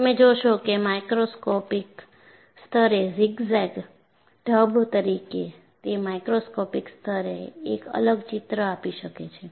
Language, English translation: Gujarati, You will see that, as zigzag fashion at a microscopic level; at a macroscopic level it may give a different picture